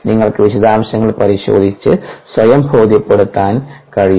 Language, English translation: Malayalam, you can take a look at the details, convince yourself with time